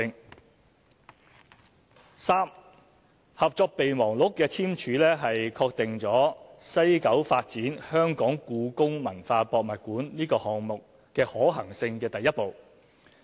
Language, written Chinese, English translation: Cantonese, 第三，《合作備忘錄》的簽署是確定在西九發展故宮館項目可行性的第一步。, Third the signing of MOU was the first step for confirming the viability of developing the HKPM project in the West Kowloon Cultural District WKCD